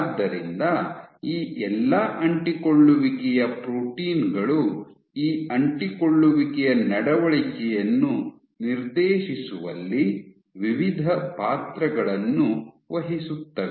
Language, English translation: Kannada, So, all these focal adhesion proteins play various roles in dictating the behavior of these adhesions